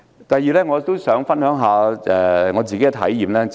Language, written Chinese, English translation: Cantonese, 第二，我也想分享一下自身體驗。, Secondly I would also like to share my personal experience